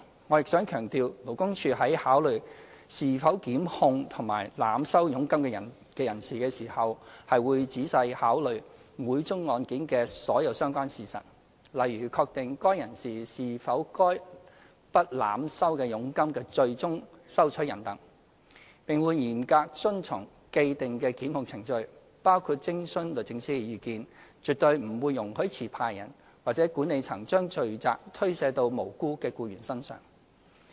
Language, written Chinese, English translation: Cantonese, 我亦想強調，勞工處在考慮是否檢控濫收佣金的人士時，會仔細考慮每宗案件的所有相關事實，例如確定該人士是否該筆濫收的佣金的最終收取人等，並會嚴格遵循既定檢控程序，包括徵詢律政司的意見，絕對不會容許持牌人或管理層將罪責推卸到無辜的僱員身上。, I also wish to stress that in considering whether to prosecute a person involved in overcharging LD will carefully consider all the relevant facts of each case such as ascertaining whether such a person is the end receiver of the overcharged commission . It will also strictly follow established prosecution procedures including consulting the Department of Justice and in no way allow the licensee or management of an employment agency to shift the blame to innocent employees